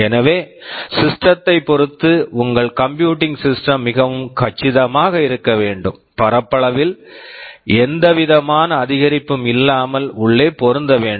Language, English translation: Tamil, So, depending again on the system, your computing system must be made very compact and should fit inside without any appreciable increase in area